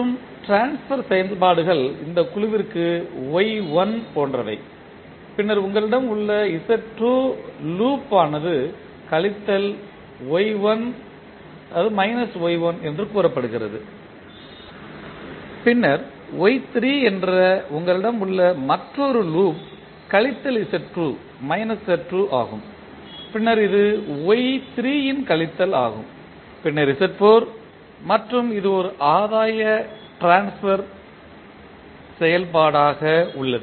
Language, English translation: Tamil, And, then you have the output say Cs and the transfer functions are like Y1 for this set, then Z2 you have a loop which is say minus Y1 then Y3 you have another loop which is minus of Z2 and then this is minus of Y3, then Z4 and this is a unity gain the transfer function